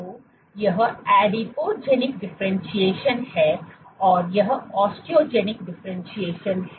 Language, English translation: Hindi, So, this is Adipogenic differentiation and this is osteogenic differentiation